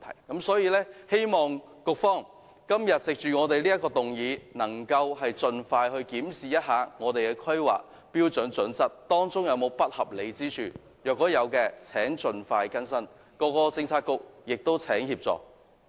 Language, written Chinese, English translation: Cantonese, 因此，我希望局方因應今天這項議案，能夠盡快檢視《規劃標準》當中是否有不合理之處；若有，請局方盡快更新，亦請其他政策局提供協助。, Therefore I hope that the bureau concerned will in the light of this motion expeditiously conduct a review of HKPSG to see if there is any irregularity . If there is I urge that an updating should be made without delay and assistance from other bureaux should be sought